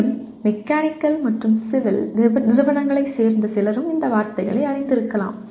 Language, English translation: Tamil, And maybe peripherally some people from Mechanical and Civil also maybe familiar with these words